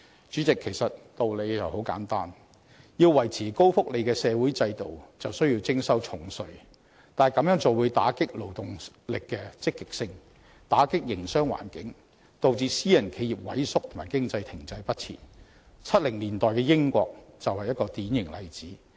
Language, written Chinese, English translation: Cantonese, 主席，其實道理很簡單，要維持高福利的社會制度，就需要徵收重稅，但這樣會打擊勞動力積極性和影響營商環境，導致私人企業萎縮和經濟停滯不前 ，1970 年代的英國就是一個典型例子。, To maintain a social system providing a high level of welfare benefits heavy tax must be levied . Yet this will undermine the participation incentive of the labour force and affect the business environment causing shrinkage of private enterprises and leaving the economy in the doldrums . The case of the United Kingdom in the 1970s is a typical example